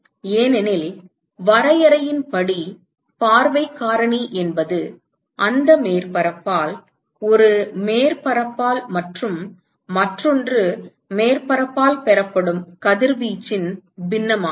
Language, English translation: Tamil, Because by definition, view factor is the fraction of radiation that is emitted by that surface, by a surface and as received by another surface